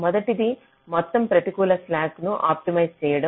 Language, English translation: Telugu, first one is to optimize the total negative slack